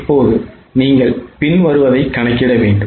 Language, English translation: Tamil, Now you are required to compute following